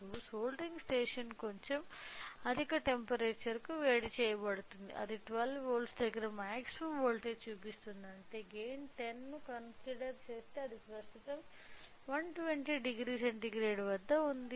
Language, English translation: Telugu, So, now, the heating station is heated to little high temperature the maximum voltage it is showing it of 12 volts which means that it is right now at if we consider the gain of 10, it is at 120 degree centigrade